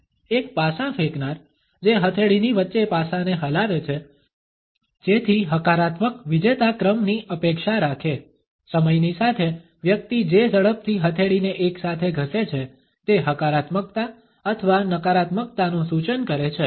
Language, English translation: Gujarati, A dice thrower who rubs the dice between his palms in order to expect a positive winning streak; over the passage of time the speed with which a person rubs the palm together has come to indicate a positivity or a negativity